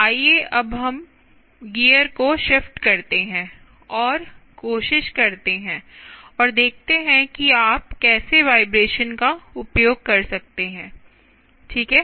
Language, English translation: Hindi, let us now shift gears and try and see how you can also use vibration right